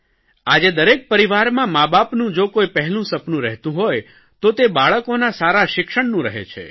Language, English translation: Gujarati, Today in every home, the first thing that the parents dream of is to give their children good education